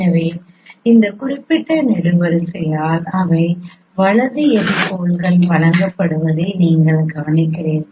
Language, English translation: Tamil, So, particularly you know, you notice that the right epipoles, these are given by this particular column